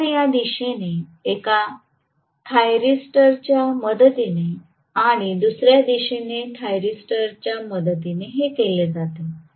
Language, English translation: Marathi, So, this is done with the help of let us say one thyristor in this direction and another thyristor in this direction